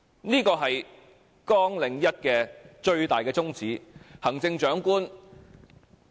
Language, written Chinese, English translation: Cantonese, 這個是綱領1最大的宗旨。, This is the greatest aim of Programme 1